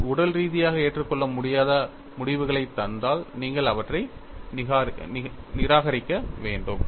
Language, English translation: Tamil, If they yield physically unacceptable results, you have to discard them